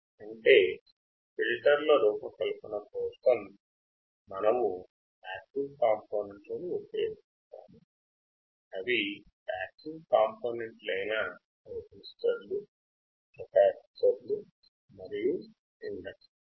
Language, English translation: Telugu, That means we use these passive components for designing the filters, which are passive components: resistors, capacitors and inductors